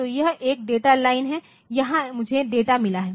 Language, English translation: Hindi, So, this is a data line here I have got the data